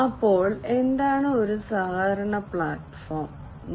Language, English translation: Malayalam, So, what is a collaboration platform